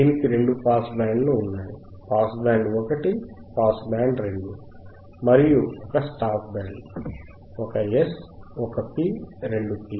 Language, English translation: Telugu, It has two pass bands, pass band one, pass band two and one stop band; stop band one 1 S, 1 P, 2 P